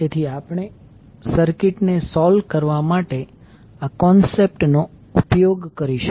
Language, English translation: Gujarati, So we will utilize this concept to solve the circuit